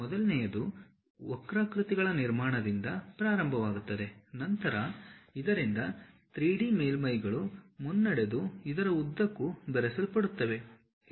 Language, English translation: Kannada, The first one begins with construction of curves from which the 3D surfaces then swept or meshed throughout